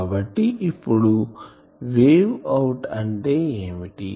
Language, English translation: Telugu, So, what is the wave out